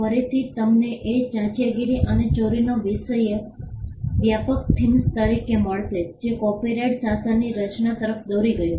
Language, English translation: Gujarati, Again, you will find that piracy and plagiarism as the broad themes that led to the creation of the copyright regime